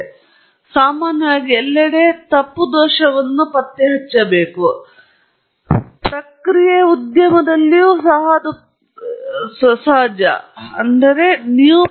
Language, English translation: Kannada, And that is how typically fault detection is carried out everywhere; even in process industry that is the situation